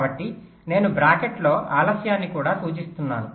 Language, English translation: Telugu, i am also just indicating the delay in bracket